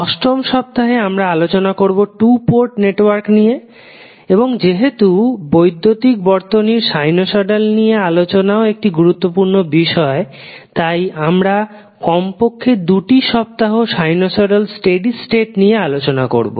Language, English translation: Bengali, Then, on week 8 we will talk about the 2 port network and since sinusoidal is also one of the important element in our electrical concept we will devote atleast 2 weeks on sinusoidal steady state analysis